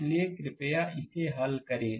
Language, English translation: Hindi, So, please solve this one here